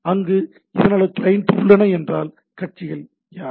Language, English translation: Tamil, So, there are client so, who are the parties